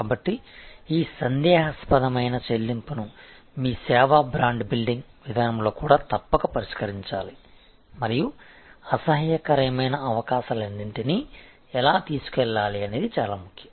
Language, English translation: Telugu, So, this doubtful pay off must also be addressed in your service brand building approach and very important that take how to all possibilities unpleasantness